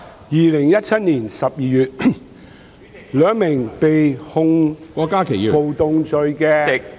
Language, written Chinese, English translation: Cantonese, 2017年12月，兩名被控暴動罪......, In December 2017 two men who had been charged with rioting offences